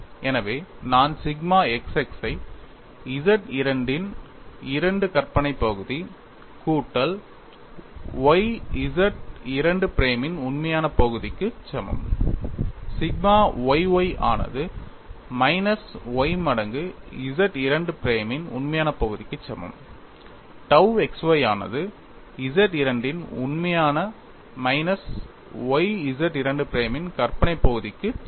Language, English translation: Tamil, So, I have sigma xx equal to 2 imagine part of Z 2 plus y real part of Z 2 prime sigma yy equal to minus y times real part of Z 2 prime tau xy equal to real part of Z 2 minus y imaginary part of Z 2 prime